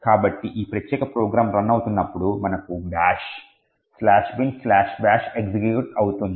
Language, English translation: Telugu, So, when this particular program runs we would have the bash slash bin slash bash getting executed